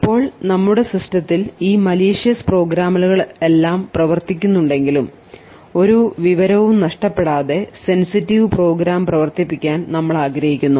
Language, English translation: Malayalam, Now in spite of all of these malicious programs running on your system we would still want to run our sensitive program without loss of any information